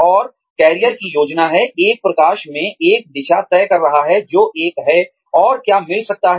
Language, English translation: Hindi, And, career planning is, deciding on a direction in light of, what one has, and what one can get